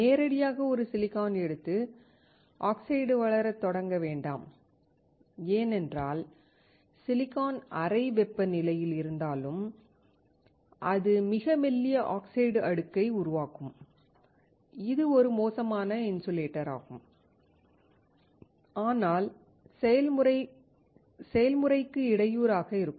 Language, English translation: Tamil, Do not directly take a silicon and start working on growing of oxide because what we understand is that even if the silicon is at room temperature, it will form extremely thin layer of oxide, which is a poor insulator but can impede the process